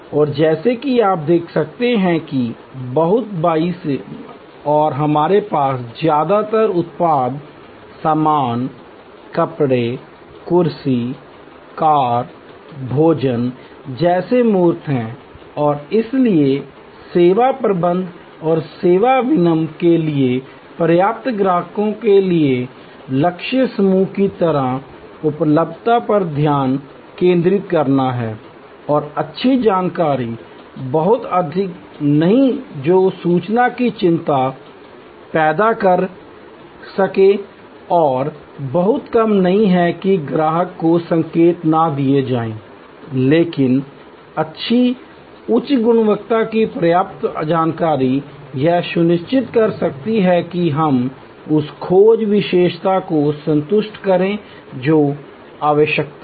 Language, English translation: Hindi, And as you can see then on the very left we have mostly products, goods, tangible like clothing, chair, a car, a food and here therefore, the service managements, service marketing has to focus on availability for the target group of customers sufficient and good information, not too much that can create information anxiety, not too little that the customer is not prompted, but good high quality enough information can ensure that we satisfy the search attribute needed to the arouse need